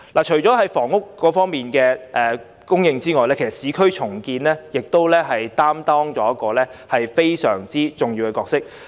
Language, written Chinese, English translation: Cantonese, 除了增加房屋供應，市區重建亦擔當着相當重要的角色。, In addition to increasing housing supply urban renewal also plays a very important role